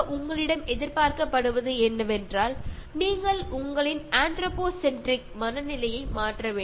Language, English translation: Tamil, Overall, what is expected is that you should change your anthropocentric mindset